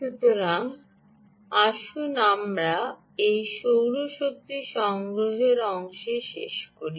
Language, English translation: Bengali, so, ah, let's just conclude on this solar ah, energy harvesting part